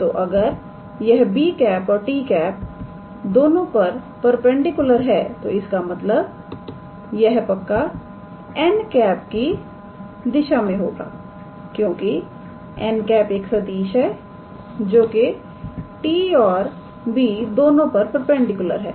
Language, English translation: Hindi, So, if it is perpendicular to both b and t; that means, it must be along the direction of n because n is the vector which is perpendicular to t and b